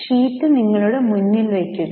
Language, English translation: Malayalam, Take the sheet in front of you